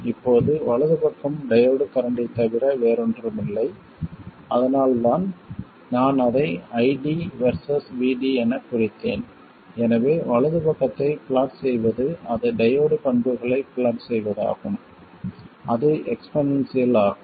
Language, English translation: Tamil, Now the right side is nothing but the diode current so that's why I have marked it as ID versus VD so plotting the right side simply means plotting the diode characteristics which are like that it is the exponential